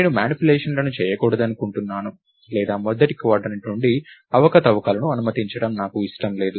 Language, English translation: Telugu, I don't want to do manipulations or I don't want to allow manipulations to go out of the first quadrant